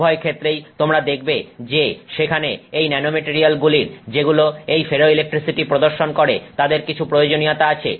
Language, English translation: Bengali, Both these cases you would see that there is some need for these nanomaterials which show ferroelectricity and therefore to first of all make them is interesting